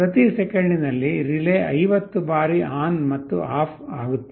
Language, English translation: Kannada, In every second the relay is switching on and off 50 times